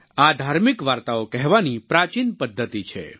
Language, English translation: Gujarati, This is an ancient form of religious storytelling